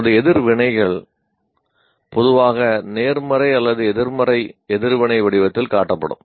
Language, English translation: Tamil, Our reactions are usually displayed in the form of either positive or negative reaction